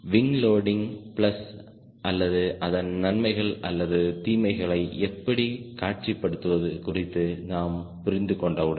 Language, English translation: Tamil, once we understand how to visualize wing loading is plus or advantages and disadvantages